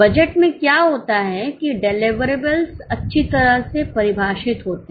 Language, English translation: Hindi, In budget what happens, the deliverables are well defined